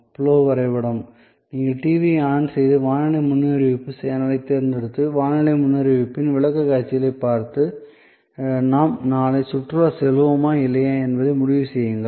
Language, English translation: Tamil, So, the flow chart is you turn on the TV, select of weather forecast channel and view the presentations of weather forecast and decide whether we will go and for the picnic tomorrow or not